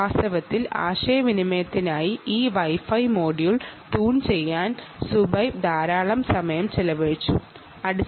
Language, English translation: Malayalam, in fact, zuhaib has spent considerable time trying to tune this wifi module for communication